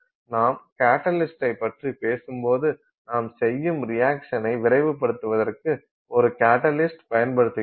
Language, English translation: Tamil, So, when you talk of a catalysis, when you say you know you used a catalyst to speed up the reaction, that's exactly what you do